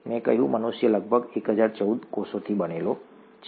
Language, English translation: Gujarati, I said humans are made up of about ten power fourteen cells